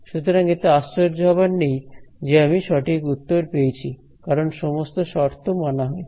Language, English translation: Bengali, So, this is no surprise I got the correct answer because, all the conditions are satisfied